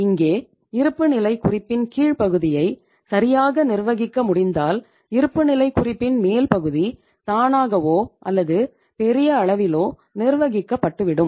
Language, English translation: Tamil, Here if you are able to manage the lower part of the balance sheet properly, to a larger extent upper part of the balance sheet will be managed managed automatically or to a larger extent